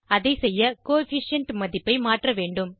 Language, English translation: Tamil, To do so, we have to change the Coefficient value